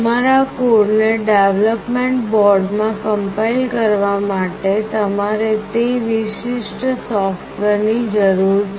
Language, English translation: Gujarati, To compile your code into the development board you need that particular software